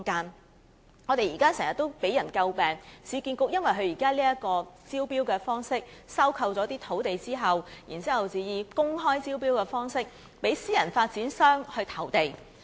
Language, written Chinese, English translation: Cantonese, 市建局現時的招標方式一直為人詬病，因為它收購土地後，採用公開招標的方式讓私人發展商投地。, The existing tendering approach of URA has all along been a subject of criticism because after acquiring a site it will adopt the open tender approach to invite private developers to bid for the site